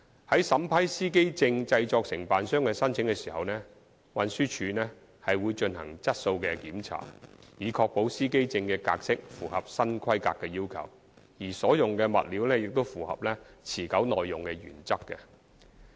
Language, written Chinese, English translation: Cantonese, 在審批司機證製作承辦商的申請時，運輸署會進行質素檢查，以確保司機證的格式符合新規格要求，而所用物料亦須符合持久耐用的原則。, In vetting and approving the applications of driver identity plate production agents TD will conduct quality check to ensure that driver identity plates comply with the new specifications; and the materials used must conform to the principles of sustainability and durability